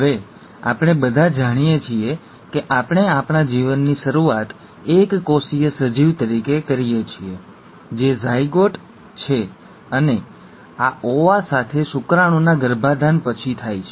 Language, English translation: Gujarati, Now we all know that we start our life as a single celled organism that is the zygote and this happens after the fertilization of sperm with the ova